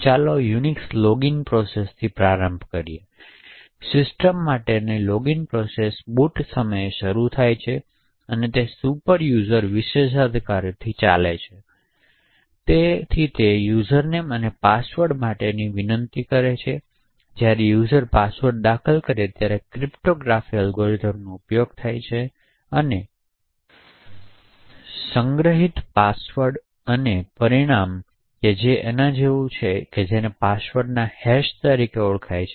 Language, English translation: Gujarati, So, let us start with the Unix login process, the login process for system is started at boot time and it runs with superuser privileges, so it request for a username and password, so when the user enters the password a cryptographic algorithm is used on the password with the stored salt and the result is something known as the hash of the password